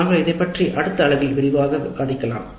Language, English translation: Tamil, We will discuss this in greater detail in the next unit